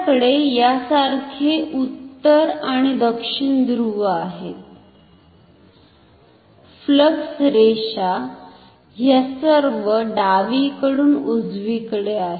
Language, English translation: Marathi, We have north and south pole like this, flux lines are all from left to right